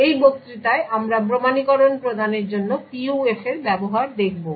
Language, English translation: Bengali, In this lecture we will be looking at the use of PUFs to provide authentication